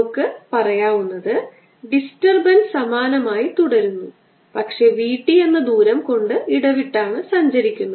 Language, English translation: Malayalam, so what we are saying is that the disturbance remain the same as has shifted by distance, v, t